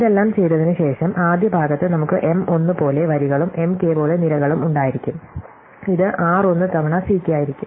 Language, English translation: Malayalam, In the first part after doing all this, we will have as many rows as M 1 and as many columns as M k, so it will be r 1 times C k